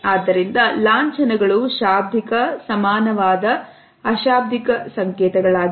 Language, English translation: Kannada, So, emblems are nonverbal signals with a verbal equivalent